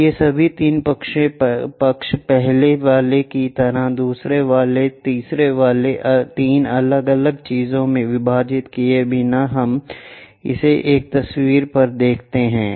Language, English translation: Hindi, So, all the 3 sides like first one, second one, third one, without splitting into 3 different things we show it on one picture